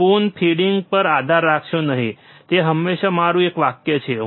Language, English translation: Gujarati, Do not rely on spoon feeding, that is always my one sentence,